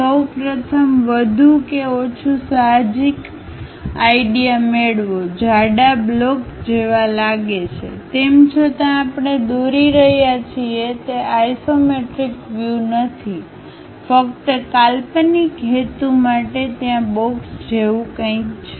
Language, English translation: Gujarati, First of all, get more or less the intuitive idea, looks like a thick block though its not isometric view what we are drawing, but just for imaginative purpose there is something like a box is there